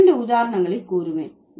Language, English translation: Tamil, I'll give you two examples